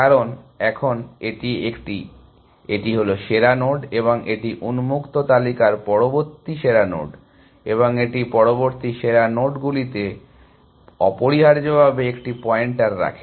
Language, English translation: Bengali, Because, now that is a, to this, this is the best node and this is the next best node in the open list, and it keeps a pointer to the next best nodes essentially